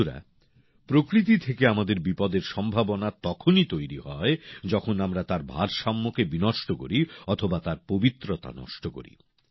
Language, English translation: Bengali, nature poses a threat to us only when we disturb her balance or destroy her sanctity